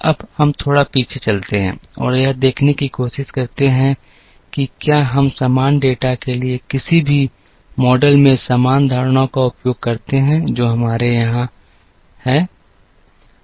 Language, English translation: Hindi, Now, let us go back a little bit and try to see, whether we use the same assumptions, in any of the models for the constant data that, we have here